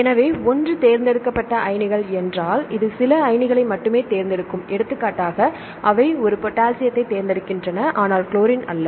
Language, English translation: Tamil, So, one is selective ions means this will select only some ions, for example, they select a potassium, but not chlorine